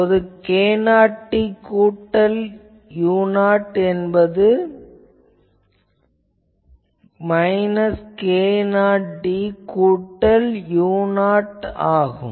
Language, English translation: Tamil, So, basically I will have to locate that this is my k 0 d plus u 0, this is my let us say minus k 0 d plus u 0 ok